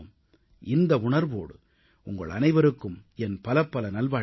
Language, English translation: Tamil, With these feelings, I extend my best wishes to you all